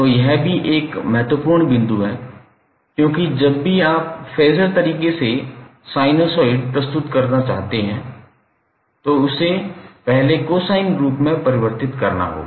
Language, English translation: Hindi, So, this is also very important point because whenever you want to present phaser in present sinusoid in phaser terms, it has to be first converted into cosine form